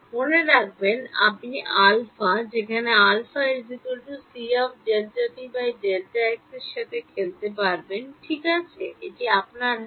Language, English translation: Bengali, Remember you can play with alpha where alpha is the c delta t by delta x it is in your hand ok